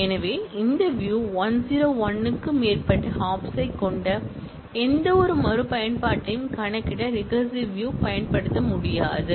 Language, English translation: Tamil, So, this view, recursive view cannot be used to compute any reachability, which has more than 101 hops